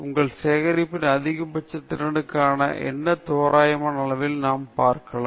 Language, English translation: Tamil, Can we look at approximate scale for what is the maximum efficiency of your collection